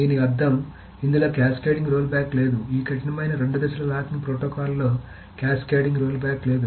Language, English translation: Telugu, So there is no cascading rollback in this strict two phase locking protocol because it cannot